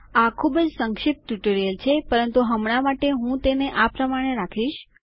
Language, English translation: Gujarati, Its a very brief tutorial but I will keep it like that at the moment